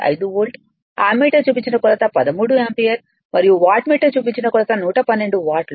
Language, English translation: Telugu, 5 volt, ammeter reading will be 13 ampere and watt metre reading will be 112 watt right